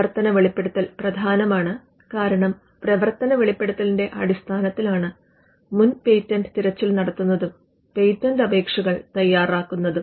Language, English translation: Malayalam, The working disclosure is important, because the working disclosure is what forms the foundation of both a prior art search as well as the foundation for drafting a patent application